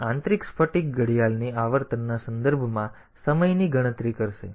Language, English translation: Gujarati, So, it will count time in terms of the internal crystal clock frequency